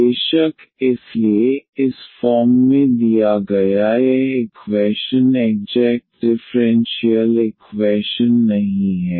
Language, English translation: Hindi, Of course, so, this equation given in this form is not an exact differential equation